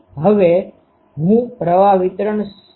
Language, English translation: Gujarati, Now, I know the current distribution